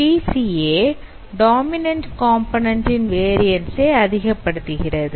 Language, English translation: Tamil, Now PCA it maximizes the variance of the dominant component